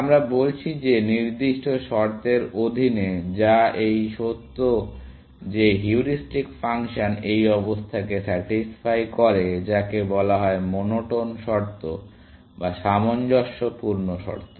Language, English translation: Bengali, We are saying that, under certain condition, which is this fact that heuristic function satisfies this condition which is called monotone or consistency condition